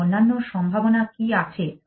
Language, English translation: Bengali, So, there are three possibilities